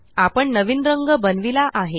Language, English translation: Marathi, We have created a new color